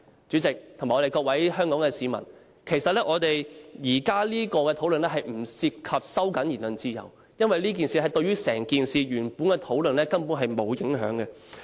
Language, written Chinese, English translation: Cantonese, 主席，各位香港市民，其實現在關於表決鐘響時間的討論，並不涉及收窄言論自由。因為這件事對於原來問題的討論，根本沒有影響。, President and members of the public in Hong Kong the debate on the ringing of the division bell does not actually involve narrowing the freedom of speech as it has no impact on the discussion of the main topic